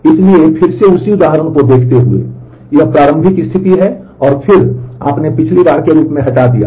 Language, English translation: Hindi, So, again looking at the same example this is the initial state and, then you did a delete as we did last time